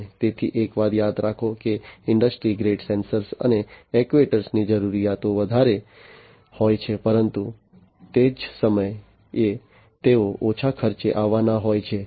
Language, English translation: Gujarati, And so remember one thing that industry grade sensors and actuators have higher requirements, but at the same time they have to come in lower cost